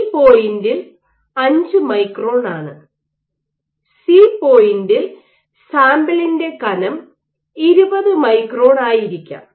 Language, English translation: Malayalam, At point B, order let us say 5 micron and at point C, the thickness of the sample might be 20 microns